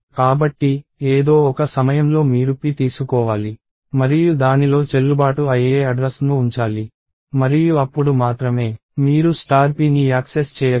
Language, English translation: Telugu, So, at some point you have to take p and put a valid address in it and only then, you will be able to access star p